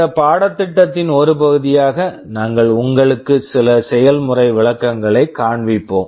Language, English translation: Tamil, As part of this course, we shall be showing you some demonstrations